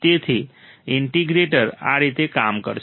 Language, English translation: Gujarati, So, this is how the integrator would work